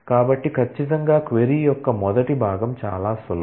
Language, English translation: Telugu, So, certainly the first part of the query is simple